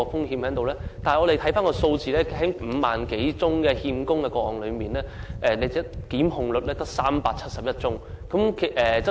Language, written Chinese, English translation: Cantonese, 根據有關數據，在5萬多宗欠供個案中，成功檢控的只有371宗，比率實在偏低。, According to relevant data among the 50 000 - odd cases of default only 371 cases had been convicted representing a very low proportion